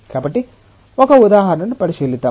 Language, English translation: Telugu, So, let us look into an example